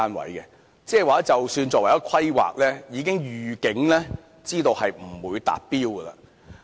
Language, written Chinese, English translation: Cantonese, 換言之，即使作為規劃，已預警知道不會達標。, In other words even in the stage of planning the Government knows in advance that it will not meet the target